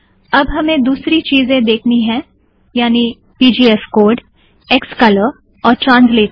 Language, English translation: Hindi, Now we will have to see the other things, namely pgfcode, xcolor and translator